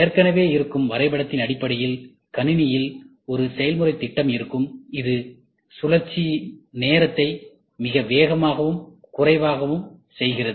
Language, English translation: Tamil, There will be a process plan which is existing in the system, this makes the cycle time much faster and lesser